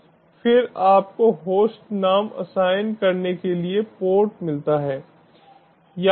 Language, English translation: Hindi, then you get the host name, assign the port